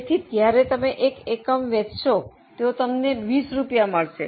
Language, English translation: Gujarati, So, one unit you sell gives you 20 rupees